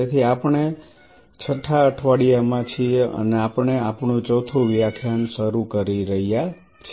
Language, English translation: Gujarati, So, we are into the week 6 and we are starting our fourth lecture